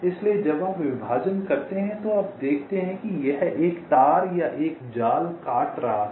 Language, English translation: Hindi, so when you do a partition, you see that this one wire or one net was cutting